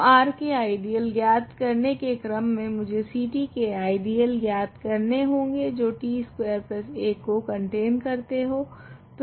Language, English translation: Hindi, So, in order to determine ideals of R, I need to determine what are the ideals of C t that contain t square plus 1